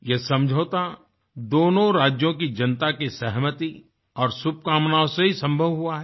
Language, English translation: Hindi, This agreement was made possible only because of the consent and good wishes of people from both the states